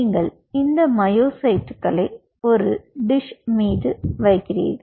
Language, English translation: Tamil, then what you do: you played these myocytes on a dish